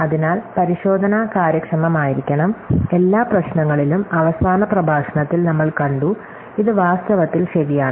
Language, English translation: Malayalam, So, the checking should be efficient, so in all the problems, we have seen in the last lecture, this is in fact true